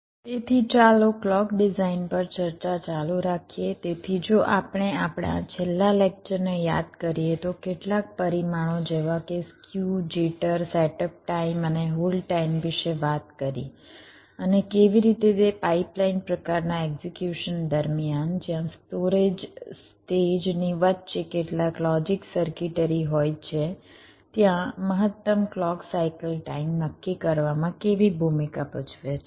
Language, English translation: Gujarati, so if we recall, in our last lecture we talked about some of the parameters like ah skew, jitter, setup time and hold time and how they play a role in deciding the maximum clock cycle time during a so called pipe line kind of execution where there are storages, stages, with some logic circuitry in between